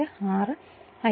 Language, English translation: Malayalam, That is 36